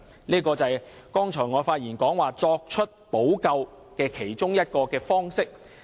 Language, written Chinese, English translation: Cantonese, 這便是我剛才發言所說作出補救的其中一個方式。, This is one way of providing redress mentioned by me in my speech just now